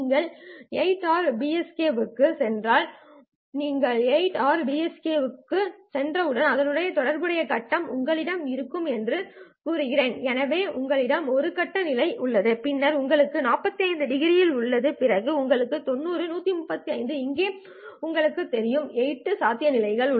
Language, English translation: Tamil, If you go to 8 ary PSK, so if you go to 8 array PSK, the corresponding phase states that you have will be, so you have a one phase state here, then you have a 45 degree, then you have 90, 135 here, here, you know, and these are the 8 possible states